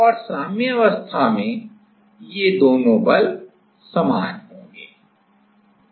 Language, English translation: Hindi, And at equilibrium these two forces will be same